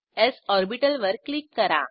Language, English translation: Marathi, Click on the p orbital